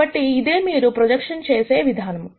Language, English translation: Telugu, So, this is how you do projection